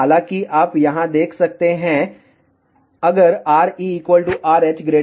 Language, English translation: Hindi, However, you can see here, if R E equal to R H is greater than 150 mm